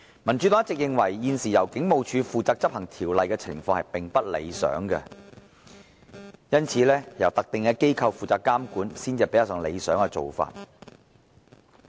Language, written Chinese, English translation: Cantonese, 民主黨一直認為，現時由警務處負責執行條例，情況並不理想，由特定機構負責監管，才是較理想的做法。, The Democratic Party has all along held that the present approach of entrusting the Hong Kong Police Force with the enforcement of the Ordinance is not a satisfactory one . A more desirable approach is to have a dedicated organization responsible for the regulatory work